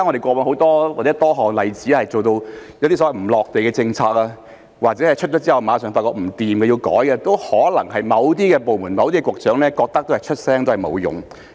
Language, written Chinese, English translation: Cantonese, 過往我們有多個例子是一些所謂"離地"的政策，或者推出後馬上發現不可行而要修改，都可能是某些部門、某些局長認為發聲沒用所致。, In the past there were many examples of policies divorced from reality or revised immediately upon introduction because they were found to be infeasible . All these were probably caused by certain departments or Directors of Bureaux thinking that it was useless to speak out